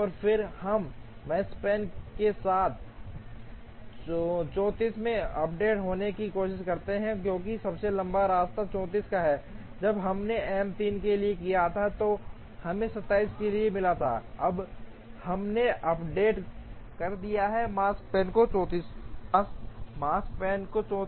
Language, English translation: Hindi, And then we try to a with Makespan updated to 34, because the longest path is 34, when we did for M 3 we got for 27, now we have updated the Makespan to 34